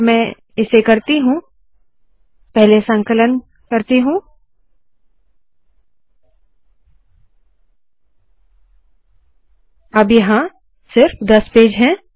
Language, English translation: Hindi, If I do this, let me compile it, now there are only 10 pages